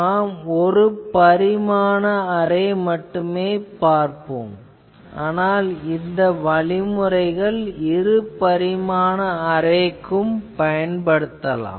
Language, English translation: Tamil, Actually, we will discuss only one dimensional array, but the method that we will discuss can be easily extended to the two dimensional arrays etc